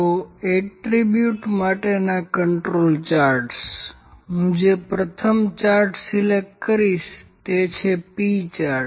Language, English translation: Gujarati, So, Control Charts for Attributes, first chart I will pick is the P chart